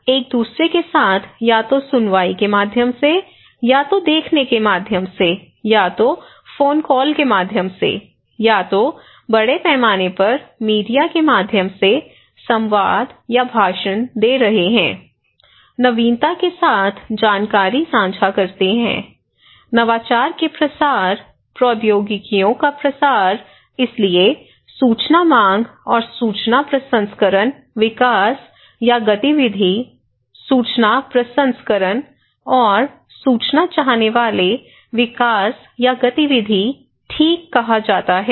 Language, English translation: Hindi, People share informations with each other either through hearing, either through watching, either through discussions, either through phone calls, either through mass media, giving dialogue or speech so, innovation; the diffusion of innovation, dissemination of technologies is therefore is called information seeking and information processing development or activity, information processing and information seeking development or activity, okay